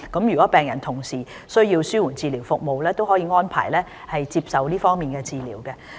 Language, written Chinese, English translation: Cantonese, 如果病人同時需要紓緩治療服務，可獲安排接受這方面的治療。, If these patients need palliative care services we can make arrangements for them to receive treatment in this respect